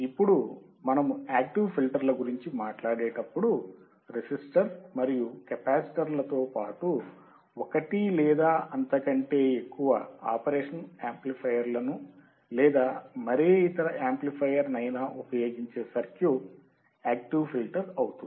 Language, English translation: Telugu, Now, when you talk about active filters, the circuit that employ one or more operational amplifiers or any other amplifier, in addition to the resistor and capacitors then that will be your active filter